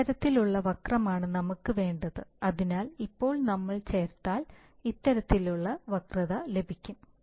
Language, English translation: Malayalam, This is the kind of curve that we want, so now it turns out that this kind of curve we can obtain if we add